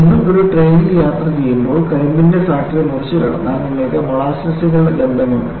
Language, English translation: Malayalam, And you all know, when you travel in a train, if you cross the sugar cane factory, you have the smell of molasses